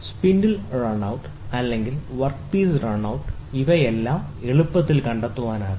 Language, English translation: Malayalam, When spindle run out is there or work piece run out, so all these things can be easily found out